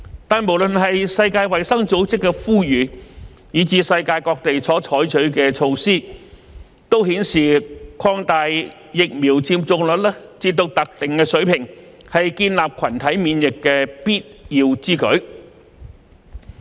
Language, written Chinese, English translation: Cantonese, 但是，無論是世界衞生組織的呼籲，以至世界各地所採取的措施，都顯示提高疫苗接種率至特定水平是建立群體免疫的必要之舉。, However be it the appeal of the World Health Organization or the measure taken by different countries of the world it is an essential move to build herd immunity by raising the vaccination rate to a specified high level